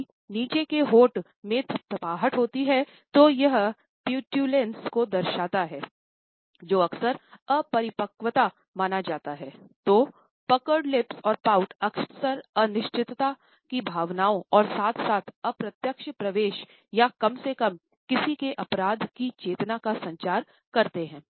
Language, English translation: Hindi, So, puckered lips and pout often communicate feelings of uncertainty as well as an indirect admission or at least consciousness of one’s guilt